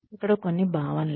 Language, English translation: Telugu, Some concepts here